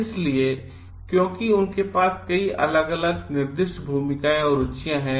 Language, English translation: Hindi, So, because they have so, many of different assigned roles and interests